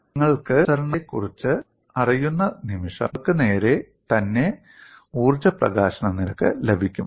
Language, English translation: Malayalam, The moment you know the compliance, it is straight forward for you to get the energy release rate